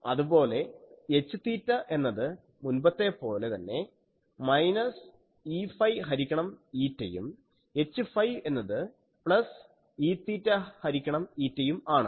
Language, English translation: Malayalam, And H theta would be as before minus E phi by eta and H phi is plus E theta phi